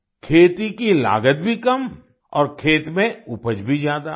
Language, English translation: Hindi, The cost of cultivation is also low, and the yield in the fields is also high